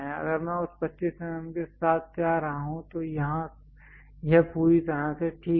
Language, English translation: Hindi, If I am going with that 25 mm, here this is fine perfectly fine